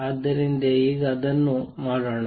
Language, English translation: Kannada, So, let us do that now